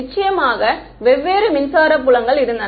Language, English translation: Tamil, Of course, the electric fields are different